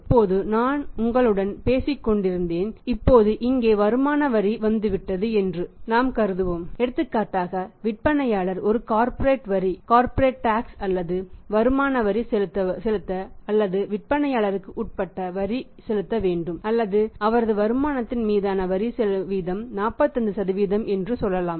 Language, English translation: Tamil, Now I was talking to you the problem now it has come up here income tax we assuming here is for example the seller has to pay seller subject to pay a corporate tax or the income tax or the tax on his income is say 45% at the rate of 45%